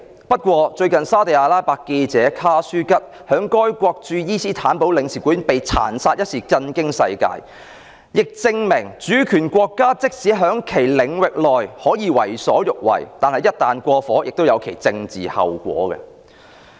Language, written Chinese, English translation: Cantonese, 不過，最近沙特阿拉伯記者卡舒吉在該國駐伊斯坦堡領事館被殘殺一事，震驚世界，亦證明主權國家即使在其領域內可以為所欲為，但一旦過火，亦有其政治後果。, However the recent brutal murder of Jamal KHASHOGGI a Saudi Arabian journalist at the Saudi Arabian consulate in Istanbul has shocked the world . It shows that even though a sovereign state can do anything it likes within its territory there will be political consequences if it has gone too far